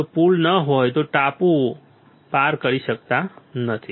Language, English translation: Gujarati, If there is no bridge then they cannot cross the island